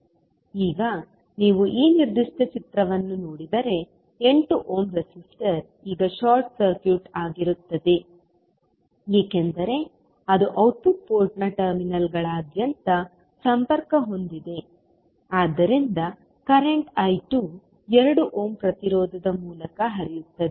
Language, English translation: Kannada, Now, if you see this particular figure, the 8 ohm resistor will be now short circuited because it is connect across the terminals of the output port so the current I 2 will be flowing through 2 ohm resistance